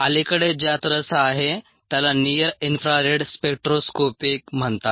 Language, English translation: Marathi, it is what is called near infra red spectroscopic interact